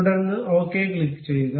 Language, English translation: Malayalam, Then click ok